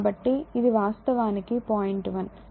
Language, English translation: Telugu, So, that this is actually this is point 1 right